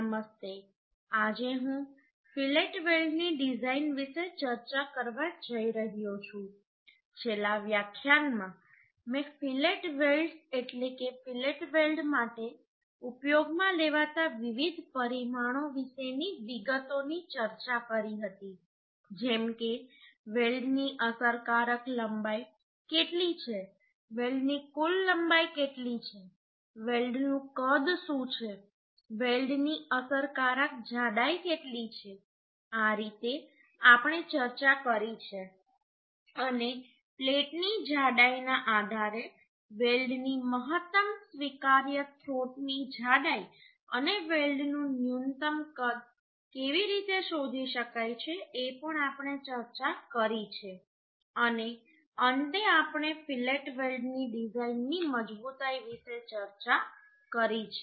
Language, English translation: Gujarati, Hello today I am going to discuss about design of Fillet welds in last lecture I have discussed a details about the fillet welds mean different parameters used for fillet welds like what is the effective length of the weld what is the total length of the welds what is the size of the welds what is the effective thickness of the weld like this we have discussed and also how to find out the maximum allowable throat thickness of the size and minimum size of the weld on the basis of the plate thickness that also we have discussed and finally we have discussed about the design strength of fillet weld right I am just giving a same formula here means whatever I have used in last class that is Pdw is equal to fu Lw into te by root 3 gamma mw where te is effective throat thickness that can be found as case and in case of generally we use right angle and for that it is 0